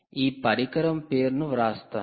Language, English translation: Telugu, i will write down the name of this device